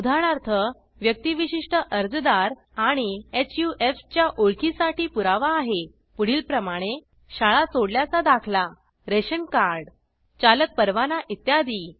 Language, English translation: Marathi, Proof of identity for Individual applicants and HUF are School leaving certificate Ration Card Drivers license etc